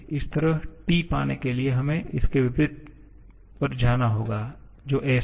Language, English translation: Hindi, Similarly, for getting T we have to go to the opposite of this which is s